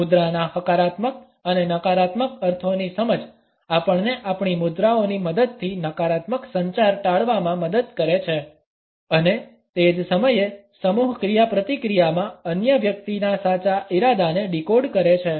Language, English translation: Gujarati, An understanding of the positive and negative connotations of posture helps us to avoid a negative communication with the help of our postures and at the same time decode the true intentions of the other person in a group interaction